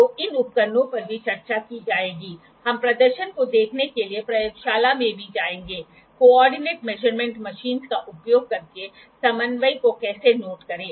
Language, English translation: Hindi, So, these instruments will be discussed also we will also go to the in the laboratory to see the demonstration, how to note the coordinate using co ordinate measurements machines